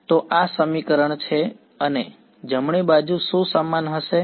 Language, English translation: Gujarati, So, this is the equation and what is the right hand side going to be equal to